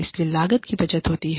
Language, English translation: Hindi, It leads to cost saving